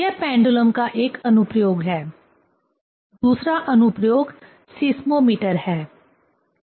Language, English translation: Hindi, This is one application of pendulum; second application is seismometer